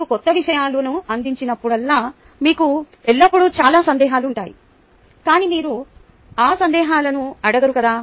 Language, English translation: Telugu, whenever you are presented with a new material, you always have a lot of doubts, but that doesnt mean you ask those doubts